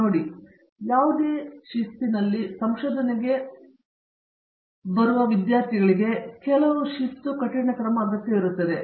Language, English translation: Kannada, See, research in any discipline requires certain kind of discipline